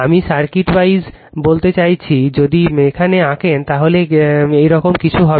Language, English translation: Bengali, I mean the circuit wise if we draw like this, it will be something like this